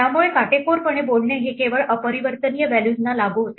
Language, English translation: Marathi, So strictly speaking this applies only to immutable values